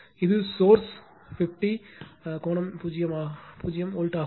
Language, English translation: Tamil, And this is the source 50 angle 0 volt